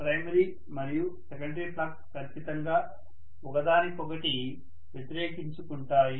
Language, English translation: Telugu, So primary and secondary flux will obviously oppose each other